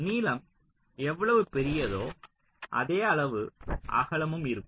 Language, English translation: Tamil, say: length is this much, width is also the same